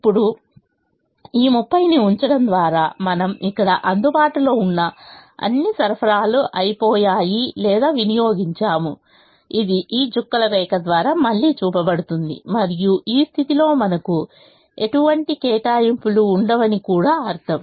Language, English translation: Telugu, by putting all this thirty, we have exhausted or consumed all the supply that is available here, which is shown again by this dotted line, and it also means that we will not have any allocation in this position now